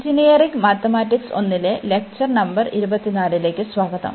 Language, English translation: Malayalam, So, welcome to the lectures on Engineering Mathematics 1, and this is lecture number 24